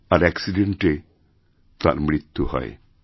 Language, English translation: Bengali, He died in an accident